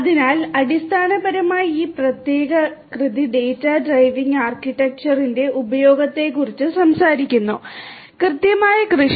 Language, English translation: Malayalam, So, there basically this particular work is talking about the use of data driven architecture for; precision agriculture